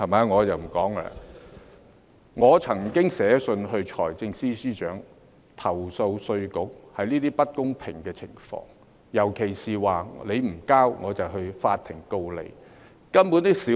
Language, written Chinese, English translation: Cantonese, 我曾經致函財政司司長，投訴稅務局這些不公平的情況，尤其是如果當事人不繳付，稅務局便訴諸法庭。, I did write to the Financial Secretary complaining about these unfair situations created by IRD in particular its recourse to court in the event of default by the concerned person